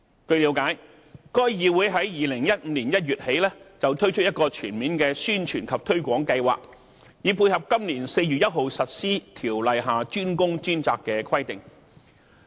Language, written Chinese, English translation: Cantonese, 據了解，該議會自2015年1月起推出一個全面的宣傳及推廣計劃，以配合今年4月1日實施《條例》下"專工專責"的規定。, I have been given to understand that CIC has launched a comprehensive publicity and promotion campaign since January 2015 to tie in with the implementation of the DWDS requirement under CWRO